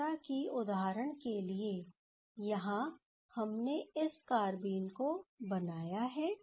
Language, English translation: Hindi, As for example here, we have generated these carbene